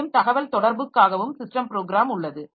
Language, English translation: Tamil, For communication also there are system programs